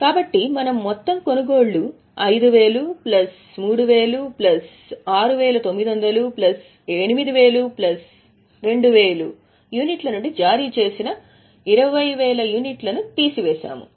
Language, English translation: Telugu, So, what we have done is we have taken total purchases which is 5 plus 3 plus 6,900 plus 8 and plus 2 from which 20,000 are issued